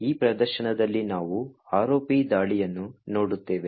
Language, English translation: Kannada, In this demonstration we will looking at ROP attack